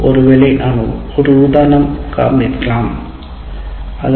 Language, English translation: Tamil, So let us look at another example